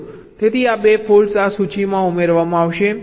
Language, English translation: Gujarati, so these two faults will get added to this list